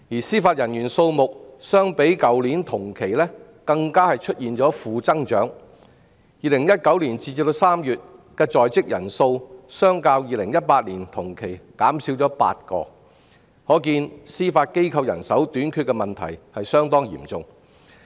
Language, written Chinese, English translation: Cantonese, 司法人員數目相較去年同期更出現負增長 ，2019 年截至3月的在職人數較2018年同期減少8人，可見司法機構人手相當短缺。, As for the number of Judicial Officers it even experienced a year - on - year negative growth by March 2019 after the strength had dropped by eight from the same time in 2018 . The above illustration shows that the manpower shortage in the Judiciary has worsened